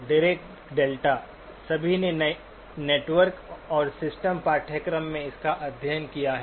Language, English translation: Hindi, Dirac delta, everyone has studied it probably in your networks and systems course